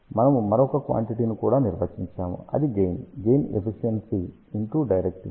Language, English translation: Telugu, We also define another quantity which is gain gain is given by efficiency multiplied by directivity